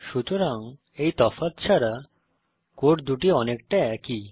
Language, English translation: Bengali, So, apart from these differences, the two codes are very similar